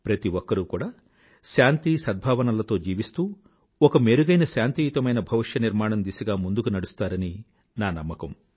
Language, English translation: Telugu, We believe that everyone must live in peace and harmony and move ahead to carve a better and peaceful tomorrow